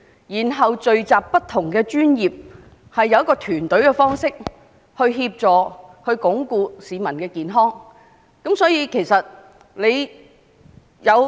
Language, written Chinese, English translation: Cantonese, 因此，政府可以聚集各不同專業的人員，以團隊協作方式來鞏固市民的健康。, Therefore the Government can gather people from different professions to enhance the well - being of the citizens in a collaborated manner